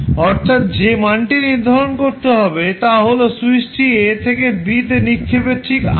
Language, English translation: Bengali, This would be the condition when switch is thrown from a to b